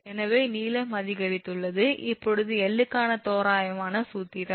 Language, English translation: Tamil, So, length has increased, now approximate formula for l